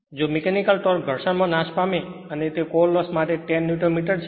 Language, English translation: Gujarati, If the mechanical torque lost mechanical torque lost in friction and that for core loss is 10 Newton metres